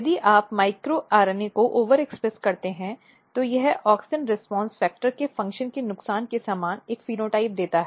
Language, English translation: Hindi, So, what happens this you can see if you overexpress micro RNA basically this gives a phenotype very similar to the loss of function of the AUXIN RESPONSE FACTORS